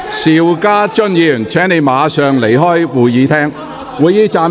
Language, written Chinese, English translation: Cantonese, 邵家臻議員，請你立即離開會議廳。, Mr SHIU Ka - chun please leave the Chamber immediately